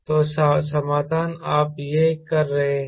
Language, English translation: Hindi, so the solution is: ok, you do this